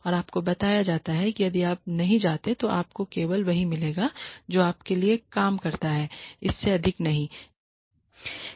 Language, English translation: Hindi, And you are told that if you do not you know you will only get what how much what you work for and no more no less